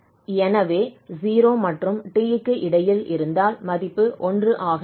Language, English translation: Tamil, That means we have the situation, between 0 and t, if x is between 0 and t the value will be 1